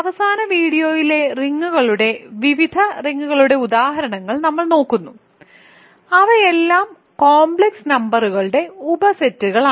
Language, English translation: Malayalam, So, we look at various rings examples of rings in the last video, which are all subsets of complex numbers